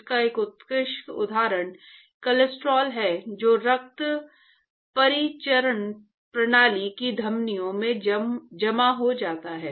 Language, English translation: Hindi, An excellent example of that is the cholesterol which actually deposits into the arteries of the of the blood system right, of the blood circulation system